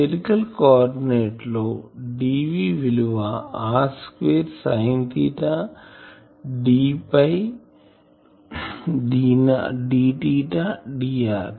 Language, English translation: Telugu, In spherical coordinate we know the ds vector is ar r not square sin theta d theta d phi